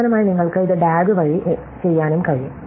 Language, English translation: Malayalam, And finally, you can also do it by DAG